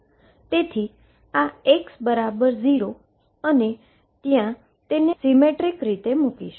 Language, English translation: Gujarati, So, this is x equals 0 and I will put it is symmetrically about it